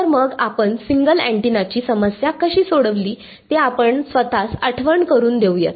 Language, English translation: Marathi, So, let us remind ourselves, how we solved the single antenna problem